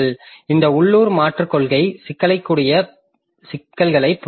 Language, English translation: Tamil, So, this local replacement policy, so it has got this problems